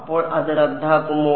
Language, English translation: Malayalam, So, does it cancel off then